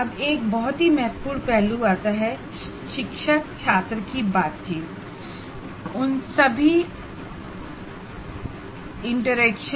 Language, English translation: Hindi, Now comes very important aspect, namely teacher student interaction